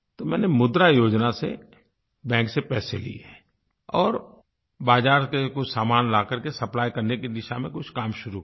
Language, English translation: Hindi, She got some money from the bank, under the 'Mudra' Scheme and commenced working towards procuring some items from the market for sale